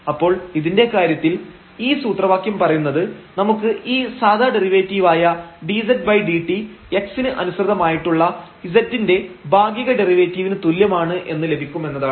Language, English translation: Malayalam, So, in this case this formula says that we can get this ordinary derivative dz over dt is equal to the partial derivative of z with respect to x